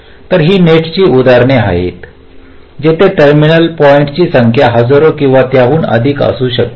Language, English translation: Marathi, so these are examples of nets where the number of terminal points can run into thousands or even more